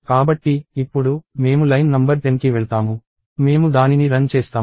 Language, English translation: Telugu, So, now, I go to line number 10; I execute it